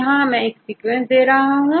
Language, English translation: Hindi, So, we have the sequence